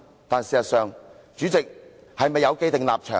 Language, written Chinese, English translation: Cantonese, "但事實上，主席是否有既定立場？, But in fact does the President have an predetermined position?